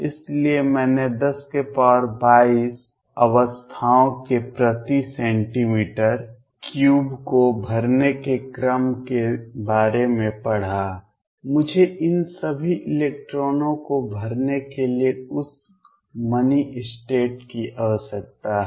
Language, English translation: Hindi, So, I read of the order of 10 raise to 22 states to fill per centimeter cubed I need that money state to fill all these electrons